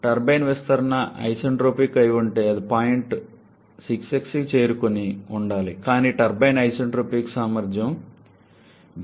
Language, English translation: Telugu, Had the turbine expansion been isentropic it should have reached point 6s but we are reaching point number 6 because the turbine has an isentropic efficiency of 0